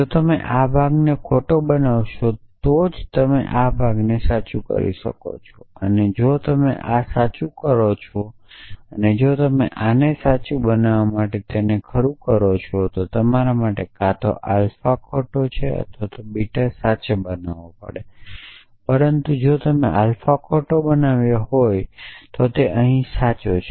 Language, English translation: Gujarati, If you make this part false now you can make this part true only if you make this true and if you make this true to make this true you have to either make alpha false or beta true,